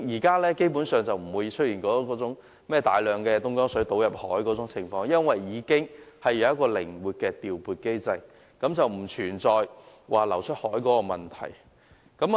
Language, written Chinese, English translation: Cantonese, 基本上，現時已不會出現有大量東江水倒入大海的情況，便是由於已有一個靈活調撥機制，是不再存在把食水流出大海的問題了。, Because of this flexible allocation mechanism now we do not have to a discharge a large amount of excess Dongjiang water into the sea . Such issue does not exist anymore